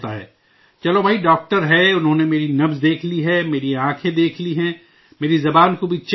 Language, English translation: Urdu, Okay…here's a doctor, he has checked my pulse, my eyes… he has also checked my tongue